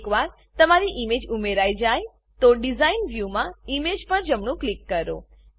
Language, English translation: Gujarati, Once your image has been added, in the Design view right click on the image